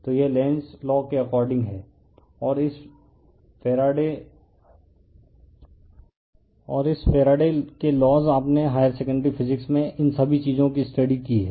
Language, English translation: Hindi, So, this is Lenz’s law and this Faradays all these things we have studied in your higher secondary physics right